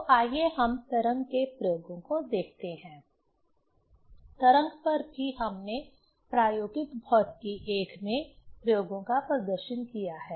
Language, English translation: Hindi, So, let us see the wave experiments; on wave also we have demonstrated experiments in Experimental Physics I